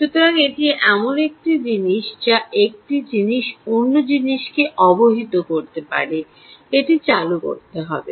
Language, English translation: Bengali, so that's something that one thing can inform the other thing that it has to switch on